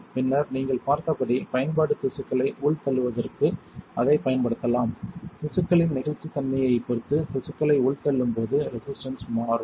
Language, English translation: Tamil, And then the application as you have seen we can use it for indenting the tissues, when you indent the tissues depending on the elasticity of the tissue the resistance would change